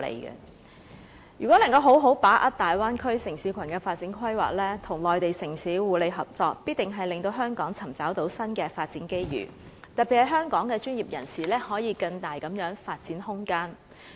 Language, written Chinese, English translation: Cantonese, 如果能夠好好把握大灣區城市群的發展規劃，與內地城市互利合作，必定令香港尋找到新的發展機遇，特別是香港專業人士，可以有更大的發展空間。, If Hong Kong can seize the opportunity of the development plan of the Bay Area city cluster and cooperate with Mainland cities for mutual benefits the territory can definitely explore new development opportunities particularly allowing Hong Kong professionals greater room for development